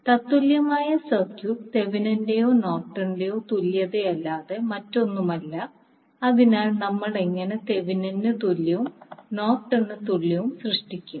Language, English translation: Malayalam, Equivalent circuit is nothing but Thevenin’s or Norton’s equivalent, so how we will create Thevenin equivalent and Norton equivalent